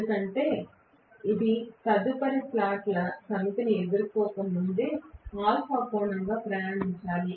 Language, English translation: Telugu, Because it has to travels as angle an alpha before it faces the next set of slots